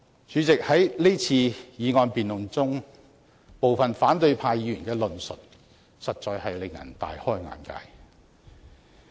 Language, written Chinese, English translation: Cantonese, 主席，在這次議案辯論中，部分反對派議員的論述實在令人大開眼界。, President in this motion debate the remarks made by some opposition Members are really an eye - opener